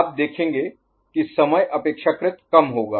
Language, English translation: Hindi, So, for which you will see the time will be relatively less